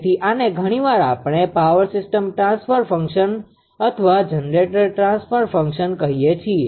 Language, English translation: Gujarati, This is actually sometimes we call this is power system transfer function or generator transfer function right